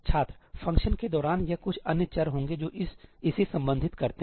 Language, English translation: Hindi, During the function, this would be some other variables that addresses it